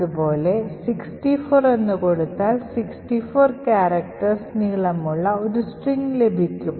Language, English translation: Malayalam, Similarly, by changing this over here to say 64 I will get a string of length 64